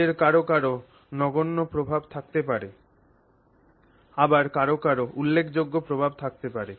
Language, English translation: Bengali, Maybe some of them have negligible impact, some of them have more significant impact